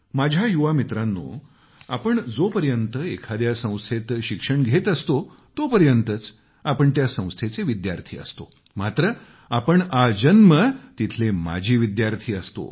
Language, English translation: Marathi, My young friends, you are a student of an institution only till you study there, but you remain an alumni of that institution lifelong